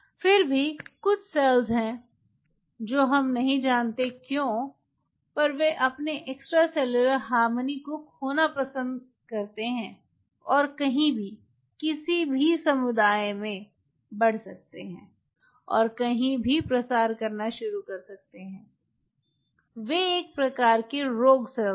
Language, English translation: Hindi, there are some cells who why they do, we do not know they prefer to lose their extracellular harmony and can grow anywhere, any community, and can start to proliferate anywhere